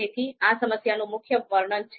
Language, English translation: Gujarati, So this is the main breakdown of the problem